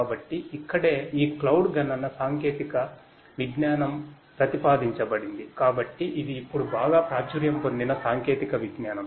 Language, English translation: Telugu, So, that is where this cloud computing technology has been has been proposed, so this is a technology that has become very popular now